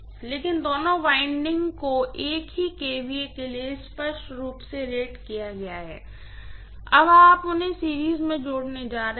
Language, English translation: Hindi, But both windings are rated for the same kVA clearly, now you are going to connect them in say series addition